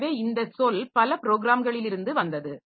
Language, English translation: Tamil, So, this term came from the multiple programs